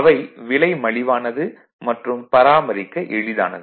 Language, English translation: Tamil, They are simple low price, easy to maintain